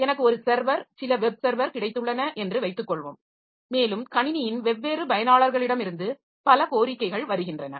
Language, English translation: Tamil, Suppose I have got a server, some web server and there are a number of requests coming from different users of the system